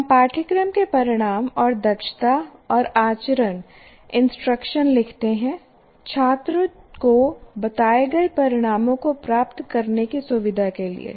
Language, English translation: Hindi, We write course outcomes and competencies and conduct instruction to facilitate the student to attain the stated outcomes